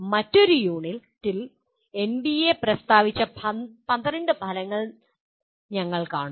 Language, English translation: Malayalam, We will see the 12 outcomes that have been stated by NBA in another unit